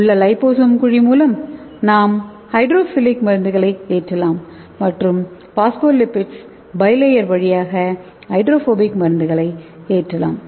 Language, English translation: Tamil, so inside the liposome cavity were can load the hydrophilic drugs and in the phospholipids bilayer we can load the hydrophobic drugs